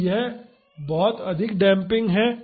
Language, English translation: Hindi, So, that is very high damping